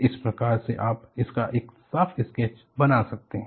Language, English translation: Hindi, And, this is how you have, you can make a neat sketch of it